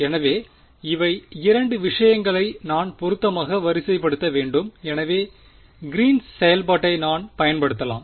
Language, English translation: Tamil, So, these are the 2 things I have to sort of fit in, so, that I can use Green's function